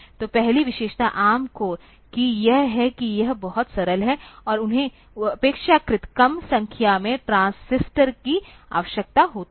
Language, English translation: Hindi, So, first feature is the ARM cores are very simple, and they require relatively lesser number of transistors